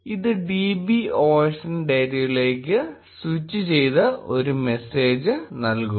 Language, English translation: Malayalam, It will give a message switched to db osndata